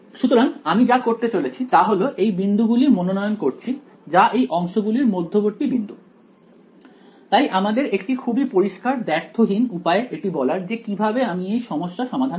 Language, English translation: Bengali, So, what I am going to do is if I choose these points basically to be the midpoints of the segments, then I have a very clear unambiguous way of specifying how to solve this problem right